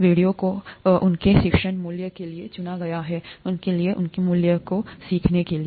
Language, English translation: Hindi, The videos have been chosen for their didactic value, for their, for their value to teach